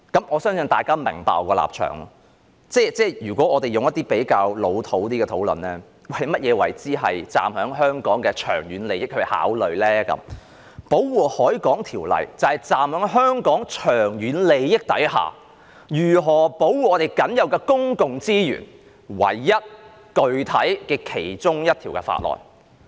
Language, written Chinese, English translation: Cantonese, 我相信大家也明白我的立場，如果我們提出一些較"老土"的論點，即是所謂基於香港長遠利益去考慮，《條例》就是站在香港長遠利益之上，如何保護我們僅有的公共資源唯一一項具體的法案。, I believe fellow Members would understand my stance . If we put forward some rather old - fashioned arguments that is the so - called consideration taking into account the long - term interests of Hong Kong the Ordinance is the only piece of specific legislation stipulating provisions on how to protect our only remaining public resources taking into account the long - term interests of Hong Kong